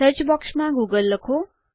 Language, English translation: Gujarati, In the search box type google